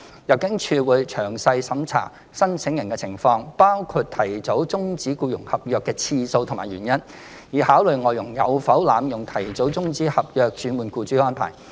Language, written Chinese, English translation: Cantonese, 入境處會詳細審查申請人的情況，包括提早終止僱傭合約的次數及原因，以考慮外傭有否濫用提早終止合約轉換僱主的安排。, ImmD would thoroughly scrutinize the details of the applicants including the number of and the reasons for premature termination of contract in order to consider whether an FDH has abused the arrangements for premature termination of contract to change employer